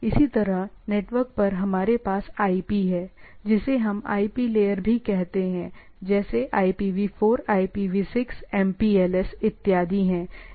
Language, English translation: Hindi, Similarly, at network layer we have IP, they what say we call it also IP layer different protocol like IPV4, IPV6, MPLS and so and so forth